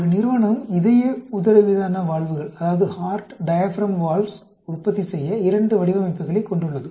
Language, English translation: Tamil, A company has two designs for manufacturing heart diaphragm valves